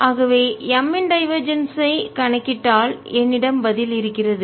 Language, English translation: Tamil, so if i calculate divergence of m, i have my answer